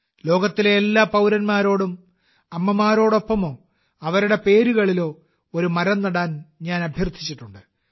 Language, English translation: Malayalam, I have appealed to all the countrymen; people of all the countries of the world to plant a tree along with their mothers, or in their name